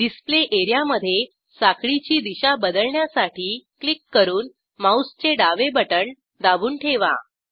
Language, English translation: Marathi, In the Display area, click and hold the left mouse button to orient the chain